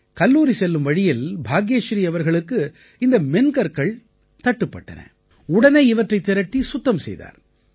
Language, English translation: Tamil, On her way to college, Bhagyashree found these Soft Stones, she collected and cleaned them